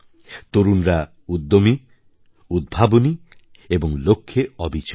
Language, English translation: Bengali, They are extremely energetic, innovative and focused